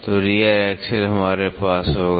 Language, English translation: Hindi, So, rear axle we will have this